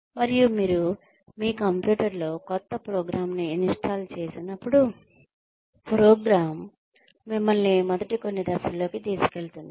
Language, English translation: Telugu, And, when you install a new program on your computer, the program itself takes you through, the first few steps